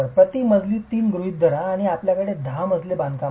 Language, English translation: Marathi, Assume 3 meters per story and you have a 10 story construction